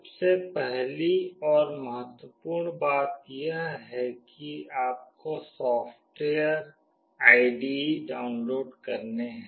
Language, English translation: Hindi, The first and foremost thing is that you need to download the software, the IDE